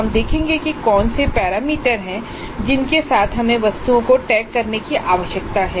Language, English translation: Hindi, We will presently see what are the parameters with which we need to tag the items